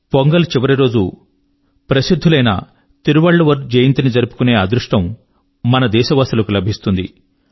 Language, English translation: Telugu, The countrymen have the proud privilege to celebrate the last day of Pongal as the birth anniversary of the great Tiruvalluvar